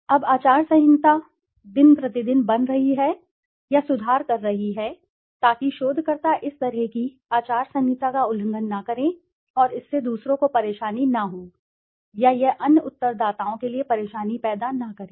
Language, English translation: Hindi, Now code of conduct are day by day becoming or improving so that researchers do not violate such code of conducts and this does not keep others into a trouble or this does not create trouble for the other respondents